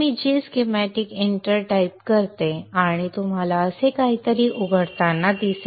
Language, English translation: Marathi, So let me type G Shem, enter, and you will see a G Y something like this opens up